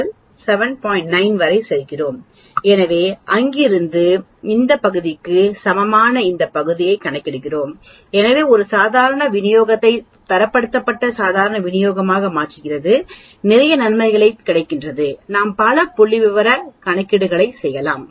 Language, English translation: Tamil, 9, so from there we calculate this area which is equal to this area so converting a normal distribution into a standardized normal distribution has many advantages we can do many statistical calculations and that is what we are going to do